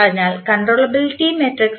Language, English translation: Malayalam, So, what is the controllability matrix S